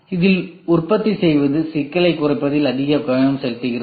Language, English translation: Tamil, Manufacturing it is more focused towards minimizing complexity